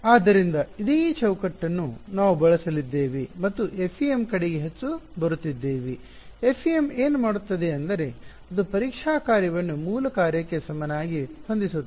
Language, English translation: Kannada, So, this is the same framework that we are going to use and coming more towards the FEM right; what FEM does is it sets the testing function to be equal to the basis function ok